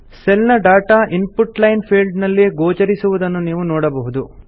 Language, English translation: Kannada, You see that the data of the cell is displayed in the Input line field